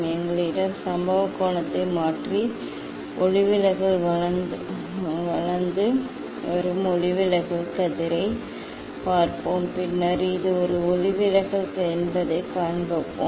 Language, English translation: Tamil, we have we will change the incident angle and look at the refracted emerging refracted rays and then we will see that that this is the deviation